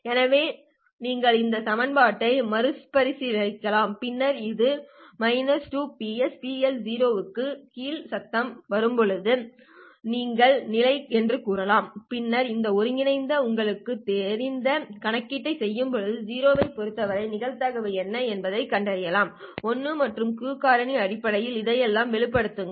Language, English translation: Tamil, So you can rearrange this equation and then say the condition for this to happen is when the noise actually falls below this minus square root of 2 PSP LO and then you can integrate and do the appropriate you know calculation to find out what would be the probability of 0 to obtain a 1 and express all this in terms of the Q factor